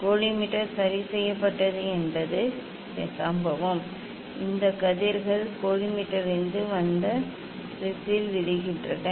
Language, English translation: Tamil, this collimator is fixed means incident, incident these rays are coming from the collimator and falling on the prism